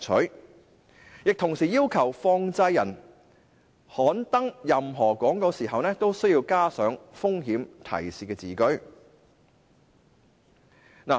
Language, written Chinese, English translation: Cantonese, 新規定亦同時要求放債人刊登任何廣告時都需要加上"風險提示"的字句。, The new provision also requires money lenders to include the words risk warning in placing any advertisements